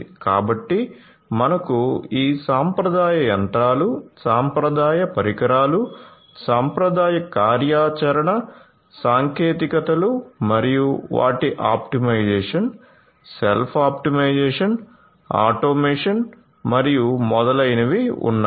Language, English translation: Telugu, So, you have this traditional machinery, the traditional equipments, the traditional operational technologies and their optimization, self optimization, automation and so on